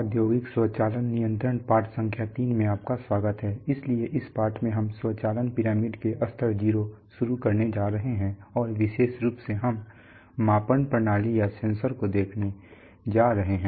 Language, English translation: Hindi, Welcome to lesson number three of the course on industrial automation control, so in this course in this lesson we are going to start at level 0 of the automation pyramid and in particular we are going to look at measurement systems or sensors